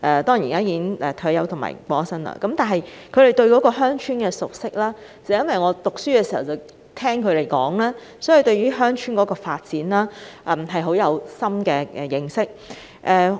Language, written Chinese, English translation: Cantonese, 當然，他現已退休和離世，但基於他對鄉村事務的熟識，令學生時代經常和他聊天的我也對鄉村發展建立深厚認識。, He has already retired and passed away but given his familiarity with rural affairs I have also developed a deep understanding of rural development through frequently chatting with him back then when I was a student